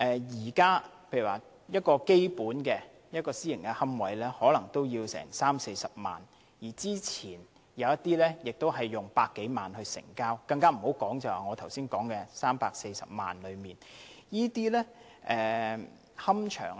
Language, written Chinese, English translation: Cantonese, 現時一個基本的私營龕位可能要30萬元、40萬元，之前亦有一些龕位以過百萬元成交，更不用說我剛才提到價值340萬元的龕位。, At present a standard private niche can cost up to 300,000 to 400,000 while some private niches have been sold for over 1 million not to mention the niche I mentioned just now with an asking price of 3.4 million